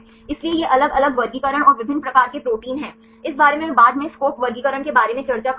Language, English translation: Hindi, So, these are the different classifications and different types of proteins right this I will discuss later about the SCOP classification